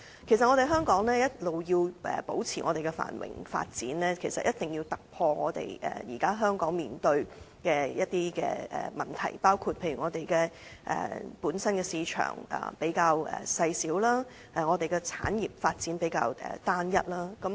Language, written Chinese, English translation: Cantonese, 其實，香港要維持繁榮及發展，便一定要解決現時香港面對的一些問題，包括我們本身的市場細小，產業發展亦比較單一。, In fact in order to maintain its prosperity and development Hong Kong must resolve the issues that it is now facing for example our market is rather small and our industrial development is also rather homogeneous